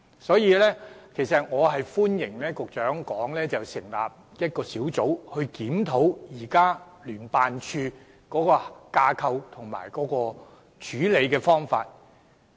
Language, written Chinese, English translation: Cantonese, 所以，我歡迎局長建議成立一個專責檢討小組，檢討聯辦處的架構和處理方法。, Therefore I welcome the Secretarys proposal of forming a task force to conduct a review on JOs structure and handling methods